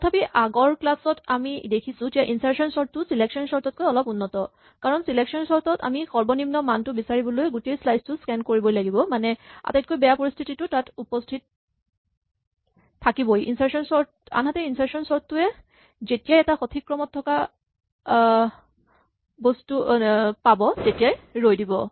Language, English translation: Assamese, But we also saw in the previous two lectures that insertion sort is actually slightly better than selection sort because selection sort, the worst case is always present because we always have to scan the entire slice in order to find the minimum value element to move into the correct position where insertion sort will stop as soon as it finds something which is in the correct order